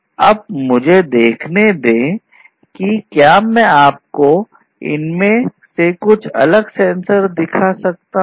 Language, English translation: Hindi, Now, let me see if I can show you some of these different sensors